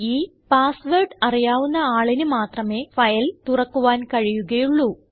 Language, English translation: Malayalam, This option ensures that only people who know the password can open this file